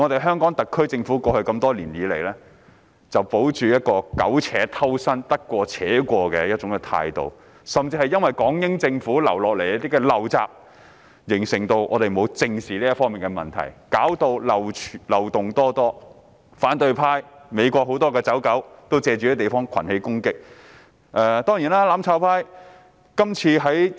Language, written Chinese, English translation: Cantonese, 香港特區政府過去多年來只保持一種苟且偷生、得過且過的態度，甚至因港英政府遺留的一些陋習而令大家未有正視這方面的問題，以致出現種種漏洞，讓反對派及很多美國的"走狗"借助這個地方群起進行攻擊。, Over the years the Hong Kong SAR Government has only been muddling along for mere survival . And due to some undesirable practice left behind by the British Hong Kong Government it has even failed to arouse peoples vigilance about problems in this regard thereby giving rise to various loopholes enabling the opposition camp and a number of flunkeys of the United States to launch collective attack by making use of this place